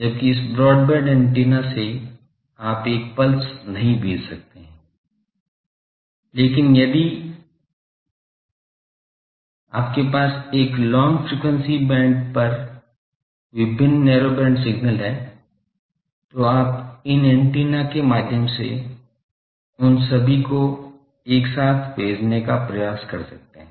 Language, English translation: Hindi, Whereas, these broadband antennas you could not send a pulse, but if you have various narrow band signals over a long frequency band you can try to send all of them together through these antenna